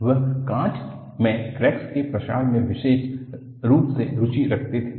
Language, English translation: Hindi, He was particularly interested in propagation of cracks in glass